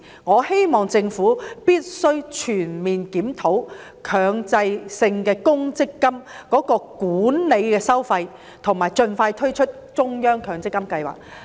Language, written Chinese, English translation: Cantonese, 我希望政府全面檢討強積金的管理收費，以及盡快推出中央強積金計劃。, I hope that the Government will conduct a comprehensive review of the management fees of MPF and launch a central provident fund scheme as soon as possible